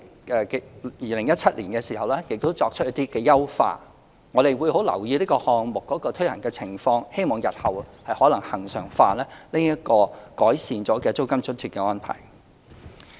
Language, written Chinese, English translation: Cantonese, 在2017年亦作出了一些優化，我們會留意這項目的推行情況，日後可能恆常化這個改善租金津貼的安排。, In 2017 the subsidy was enhanced . We will keep watch on the implementation of this project and may consider regularizing the arrangement for enhanced rent allowance in future